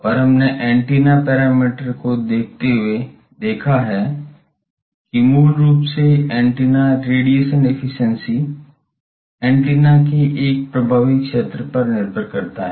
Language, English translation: Hindi, And we have seen while seeing the antenna parameters that basically antennas radiation efficiency depends on the effective area of an aperture, effective area of an antenna